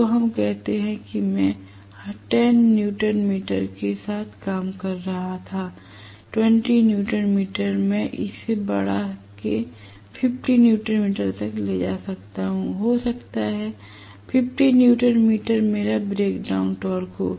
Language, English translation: Hindi, So, let us say I was working with may be 10 newton meter, 20 newton meter I kept on increasing may be it came up to 50 newton meter, may be 50 newton meter happens to be my brake down torque